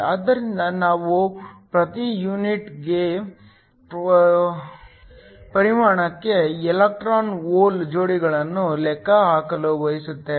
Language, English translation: Kannada, So, We also want to calculate the electron hole pairs per unit volume